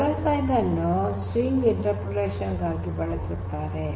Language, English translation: Kannada, So, dollar sign is used for string interpolation